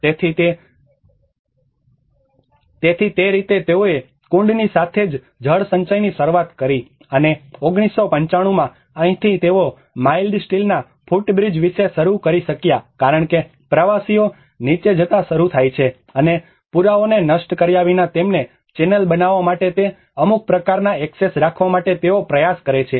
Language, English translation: Gujarati, \ \ So, in that way they started the cistern as well as the water storage and 1995, this is where they started about a mild steel footbridge because the tourists start pumping down and in order to channel them without destroying the evidence that is where they try to keep some kind of access